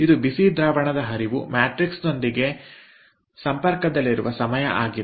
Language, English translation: Kannada, this is the time the cold fluid is in contact with the matrix